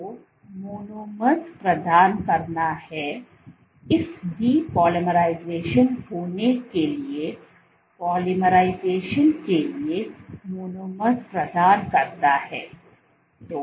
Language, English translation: Hindi, So, there is a providing of monomers this depolymerization provides the monomers for the polymerization to occur